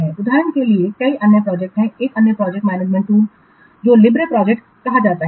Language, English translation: Hindi, For example, another project is called another project management tool is called as a Libre project